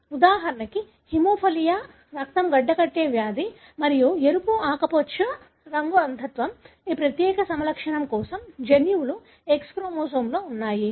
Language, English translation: Telugu, For example hemophilia, the blood clotting disease and red green colour blindness, the genes for this particular phenotype is located on the X chromosome